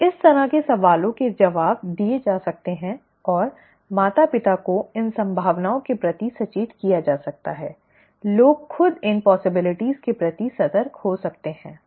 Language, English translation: Hindi, Okay, these kind of questions can be answered and the parents can be alerted to these possibilities, the people can themselves be alerted to these possibilities